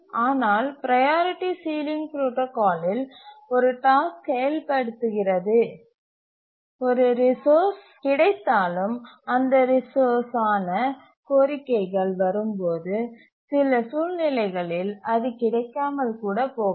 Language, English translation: Tamil, But in the Priority Sealing Protocol, we'll see that even if a resource is available, a task executing, requesting that resource may not get it under some circumstances